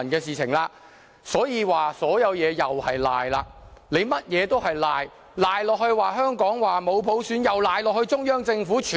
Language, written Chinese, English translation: Cantonese, 所以，不管是甚麼事情，他們都要抵賴，香港沒有普選亦抵賴在中央政府身上。, Hence no matter what they will only try to deny their responsibility just like the case of shifting the responsibility of no universal suffrage in Hong Kong onto the Central Government